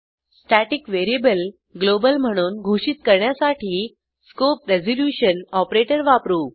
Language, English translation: Marathi, To declare the static variable globally we use scope resolution operator